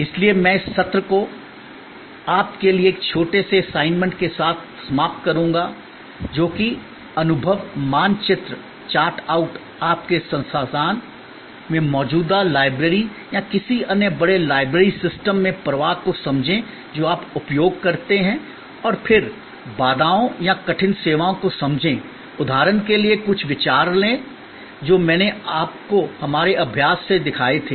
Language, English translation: Hindi, So, I will end this session with a small assignment for you is that, experience map, chart out, understand the flow in your existing library at your institution or any other large library system that you use and then, understand the bottleneck points, take some ideas from the example that I showed you from our exercise